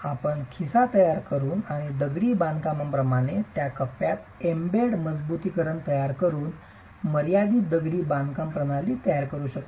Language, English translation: Marathi, You could also construct confined masonry systems by creating pockets and embedding reinforcement in those pockets in the masonry